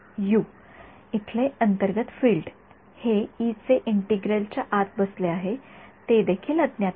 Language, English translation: Marathi, U : the internal field over here right this E which is sitting inside the integral that is also unknown